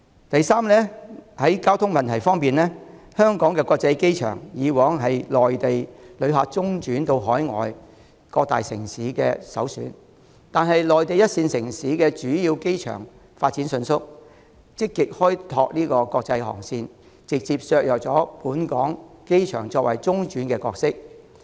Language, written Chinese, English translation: Cantonese, 第三，在交通問題方面，香港國際機場以往是內地旅客中轉到海外各大城市的首選，但內地一線城市的主要機場發展迅速，積極開拓國際航線，直接削弱本港機場作為中轉站的角色。, Thirdly regarding the transport problem in the past the Hong Kong International Airport was Mainland visitors first choice for transit to various major overseas cities . Yet the main airports in first - tier Mainland cities have rapidly developed and proactively opened more international routes directly undermining the role of the Hong Kong airport as a transit point